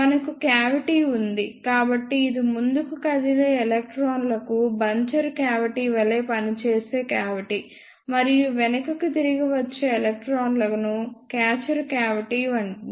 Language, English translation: Telugu, Then we have the cavity, so this is the cavity which acts as buncher cavity for forward moving electrons, and catcher cavity for returning electrons or backward moving electrons